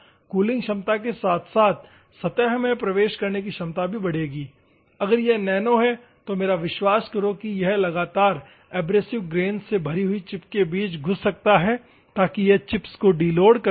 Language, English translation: Hindi, The cooling ability as well as penetrating ability will increase at the same time, if it is nano, believe me, that it can penetrate between the loaded chip in the abrasive successive abrasive grains so that, it can deload the chips